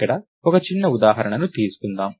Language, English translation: Telugu, So, lets take a small example here